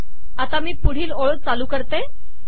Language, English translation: Marathi, Let me enter the next line